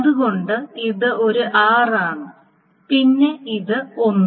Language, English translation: Malayalam, Then this is 1